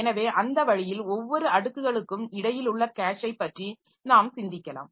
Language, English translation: Tamil, So, that way we have we can think about the cache at between every layers, okay